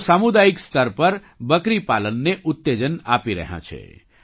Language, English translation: Gujarati, They are promoting goat rearing at the community level